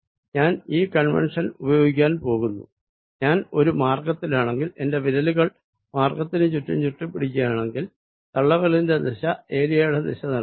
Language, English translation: Malayalam, so now i am going to use this convention that if i on a path, if i curl on a closed path, if i curl my fingers around the path, the thumb gives me the direction of the area